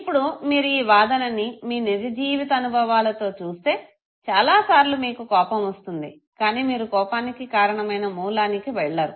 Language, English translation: Telugu, Now if you evaluate this argument with your real life experience many times you get angry, but you do not revert back to the source of anger okay